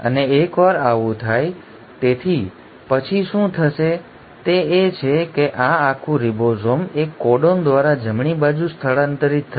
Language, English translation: Gujarati, And once this happens, so what will happen then is that this entire ribosome will shift by one codon to the right